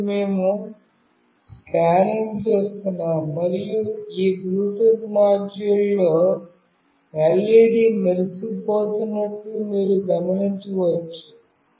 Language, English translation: Telugu, So, we are scanning, and you just notice one thing that the LED is blinking in this Bluetooth module